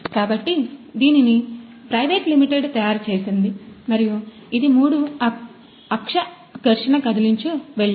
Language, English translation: Telugu, So, this is manufactured by private limited and it is a three axis friction stir welder